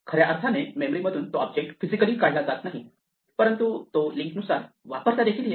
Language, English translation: Marathi, It actually does not physically remove that object from memory, but it just makes it inaccessible from the link end